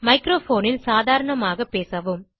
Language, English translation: Tamil, Speak normally into the microphone